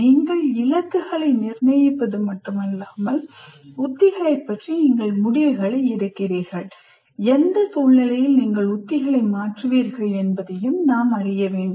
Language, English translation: Tamil, So not only you are setting goals, but you are making decisions about strategies and also under what conditions you will be changing the strategy